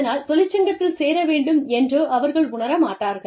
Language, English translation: Tamil, They do not feel, the need to join a union